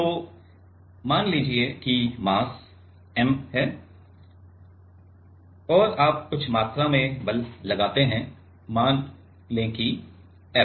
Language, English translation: Hindi, So, let us say mass is m you apply some amount of force, let us say F